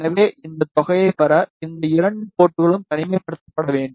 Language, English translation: Tamil, So, to get this sum these two ports should be isolated